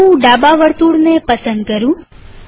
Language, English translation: Gujarati, Let me choose the left circle